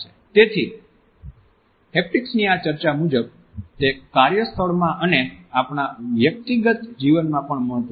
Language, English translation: Gujarati, So, this discussion of haptics tells us of it is significance in the workplace, in our personal life also